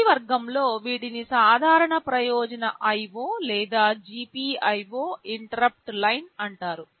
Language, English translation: Telugu, In the first category these are called general purpose IO or GPIO interrupt lines